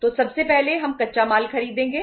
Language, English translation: Hindi, So first we will buy the raw material